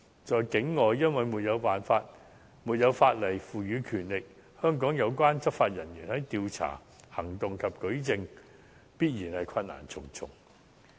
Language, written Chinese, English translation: Cantonese, 在境外，因為沒有法例賦予權力，香港有關執法人員在調查、行動及舉證方面，必然困難重重。, Without the power given by law the relevant Hong Kong law enforcement officers will certainly meet a great deal of difficulties on the Mainland in terms of investigation operation and adducing evidence